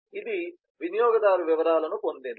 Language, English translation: Telugu, it has got the user details